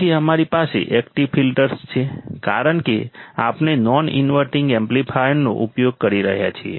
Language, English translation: Gujarati, Then we have active filters, because we are using a non inverting amplifier